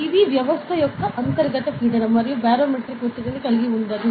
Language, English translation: Telugu, This is the internal pressure of the system, and does not include barometric pressure